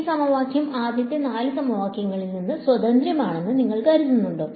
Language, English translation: Malayalam, Do you think that this equation is independent of the first four equations